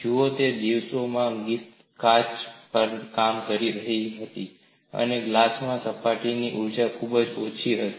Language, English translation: Gujarati, See, in those days Griffith was working on glass and surface energy in glass was very very small